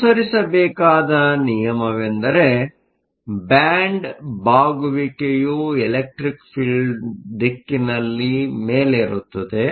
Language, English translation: Kannada, The rule that is to be followed is that band bending goes up in the direction of the electric field